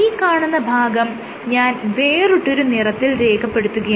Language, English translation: Malayalam, So, I will draw the return with a different colour